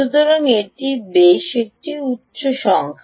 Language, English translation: Bengali, so it's quite a high number